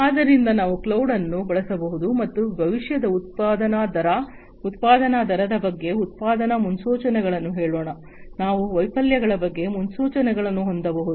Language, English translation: Kannada, So, we could use cloud, and we can come up with different predictions about let us say production predictions about the future production rate, production rate, we can have predictions about failures